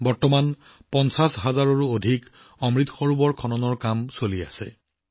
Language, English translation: Assamese, Presently, the work of building more than 50 thousand Amrit Sarovars is going on